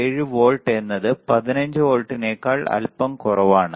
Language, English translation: Malayalam, 7 volts just a bit less than plus 15 volts